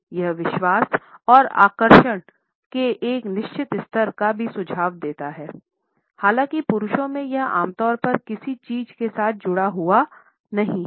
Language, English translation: Hindi, It also suggest a certain level of confidence and attractiveness; however, in men it is normally associated with something effeminate